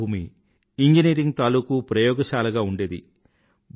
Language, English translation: Telugu, Our land has been an engineering laboratory